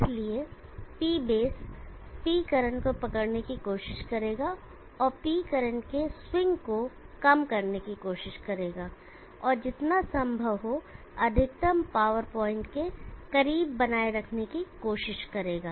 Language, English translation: Hindi, So the P base will try to catch up with P current and try to narrow down the swing of the P current and try to maintain as close to the maximum power point as possible